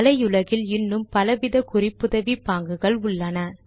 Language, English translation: Tamil, There is a large number of other referencing styles on the web